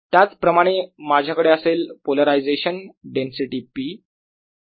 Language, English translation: Marathi, so in the same manner i have polarization density, p